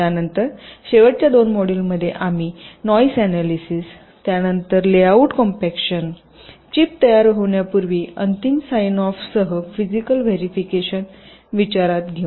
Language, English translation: Marathi, then in the last two modules we shall be considering noise analysis, layout compaction, then physical verification with final sign off before the chip is designed